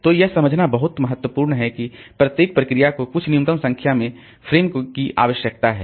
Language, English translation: Hindi, So, this is a very important thing to understand that each process needs some minimum number of frame